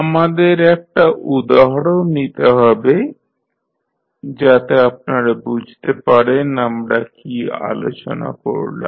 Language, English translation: Bengali, Let us, take one example so that you can understand what we have discussed